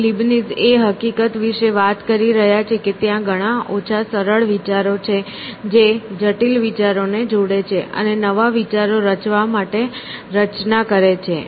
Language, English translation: Gujarati, And, Leibniz is talking about the fact that there are small number of simple ideas which combine and form complex ideas to form new ideas essentially